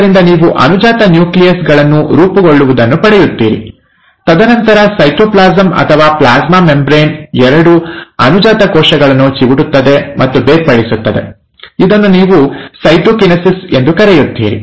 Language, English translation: Kannada, So you start getting daughter nuclei formed, and then, the cytoplasm or the plasma membrane pinches and separates the two daughter cells, which is what you call as the cytokinesis